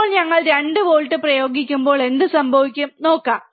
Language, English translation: Malayalam, Now, let us see when we applied 2 volts, what happens